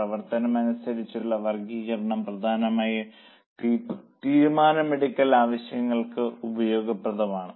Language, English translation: Malayalam, Now classification as per variability is mainly useful for decision making purposes